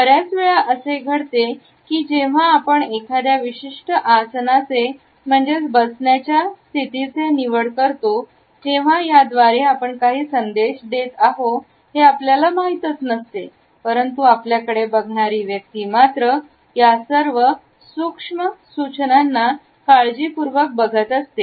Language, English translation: Marathi, Often it may happen that when we opt for a particular posture, we ourselves may not be aware of transmitting these messages, but the other person who is looking at us is not impervious to these subtle suggestions